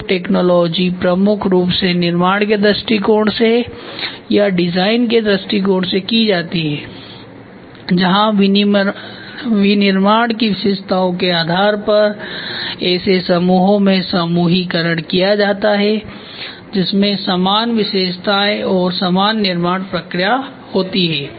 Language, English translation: Hindi, So, group technology, group technology is done majorly from the manufacturing point of view or from the design point of view where grouping is done based on features or manufacturing, which is similarity similar features and similar manufacturing